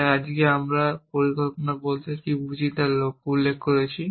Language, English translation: Bengali, So, today we have just specified what do we mean by a partial plan